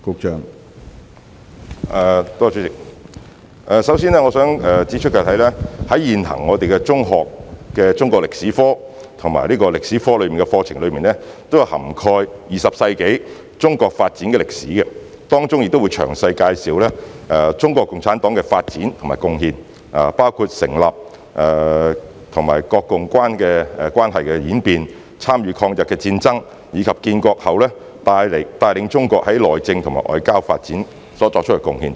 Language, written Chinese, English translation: Cantonese, 主席，首先，我想指出，現行的中學中國歷史科及歷史科課程均已涵蓋20世紀的中國發展歷史，當中詳細介紹中國共產黨的發展及貢獻，包括該黨的成立、國共關係的演變、參與抗日戰爭，以及建國後帶領中國內政和在外交發展作出的貢獻等。, President first of all I would like to point out that the existing secondary Chinese History and History curriculum has already covered the history of Chinas development in the 20th century to give a detailed introduction of CPCs development and contribution including the founding history of CPC the change in relationship between CPC and the Kuomintang CPCs participation in the War of Resistance against Japanese Aggression and the contribution of CPC in leading Chinas internal and external development after the founding of the new China